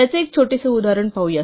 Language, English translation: Marathi, Let us look at a simple example of this